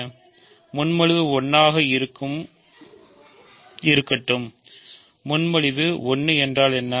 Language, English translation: Tamil, Let R proposition 1, what is proposition 1